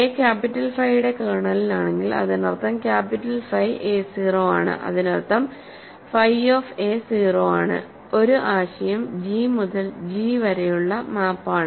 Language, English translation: Malayalam, So, if a belongs to kernel of capital phi; that means, capital phi a is 0; that means, phis of a is 0, as an idea is a map of from G to G